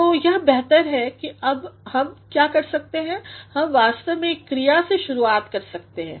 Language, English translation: Hindi, So, it is better and now what we can do is, we can actually we can start with a verb